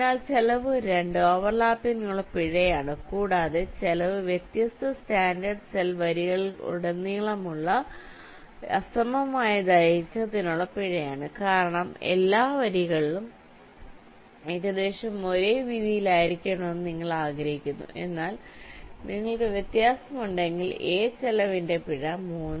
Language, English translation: Malayalam, and cost three is the penalty for uneven length across the different standard cell rows, because you want that all rows must be approximately of this same width, but if there is a difference, you encore a penalty of cost three